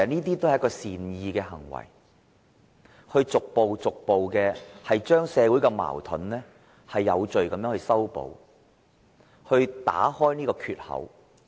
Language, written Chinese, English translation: Cantonese, 這些也是善意的行為，可以逐步將社會的矛盾有序地化解，打開這個缺口。, These are actions of good will which may resolve the conflicts in society in an orderly manner and create opportunities